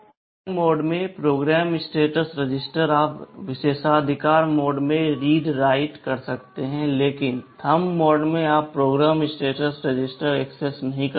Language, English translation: Hindi, Program status register in ARM mode, you can do read write in privileged mode, but in Thumb mode you cannot access program status register